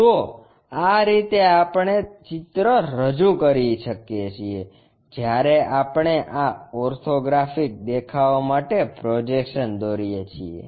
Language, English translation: Gujarati, This is the way we represent that, when we are showing this orthographic views projections